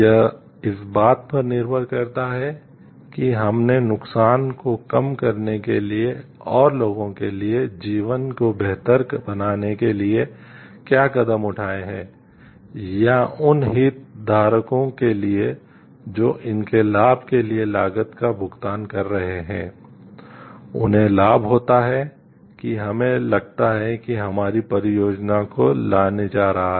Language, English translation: Hindi, It depends on the what actions we have taken to minimize the harm and to make the life better for the people or for the stakeholders who are suffering paying the cost for the benefit of it, benefit that we think like our project is going to bring in